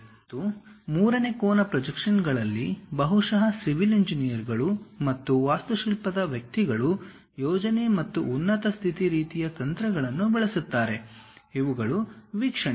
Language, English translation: Kannada, And also third angle projection, perhaps typically civil engineers and architecture guys use plan and elevation kind of techniques, these are views